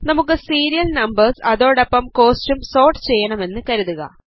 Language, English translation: Malayalam, Lets say, we want to sort the serial numbers as well as the cost